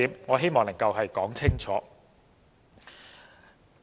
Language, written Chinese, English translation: Cantonese, 我希望能夠說清楚這一點。, I wish to make this point clear